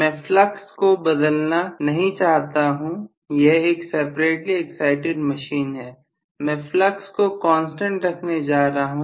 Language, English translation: Hindi, I do not want to change the flux it is a separately excited machine, I am going to keep the flux as a constant